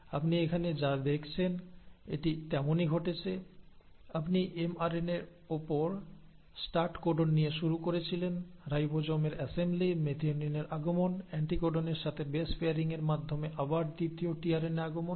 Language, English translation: Bengali, So this has happened as what you have seen here is, you started with the start codon on the mRNA, assembly of the ribosomes, coming in of methionine, coming in of a second tRNA again through base pairing with anticodon